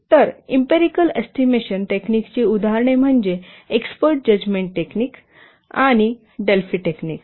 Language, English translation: Marathi, So, examples of empirical estimation techniques are export judgment technique and Delphi technique